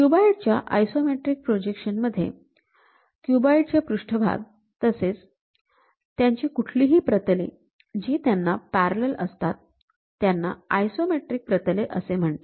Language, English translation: Marathi, In an isometric projection of a cube, the faces of the cube and any planes parallel to them are called isometric planes